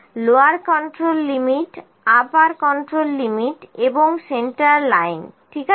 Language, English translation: Bengali, Lower control limit, upper control limit and centerline, ok